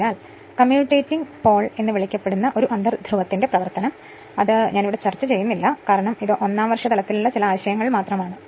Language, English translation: Malayalam, So, function of this your inter pole called commutating pole etcetera I am not discussing here, because this first year level just some ideas right